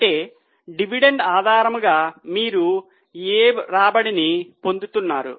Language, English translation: Telugu, That means as a percentage what return you are getting based on dividend